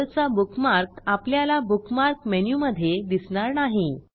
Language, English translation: Marathi, * The google bookmark is no longer visible in the Bookmark menu